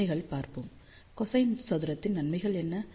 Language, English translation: Tamil, Let just look at the advantages, what are the advantages of cosine squared